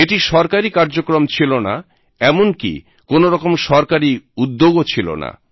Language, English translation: Bengali, This was not a government programme, nor was it a government initiative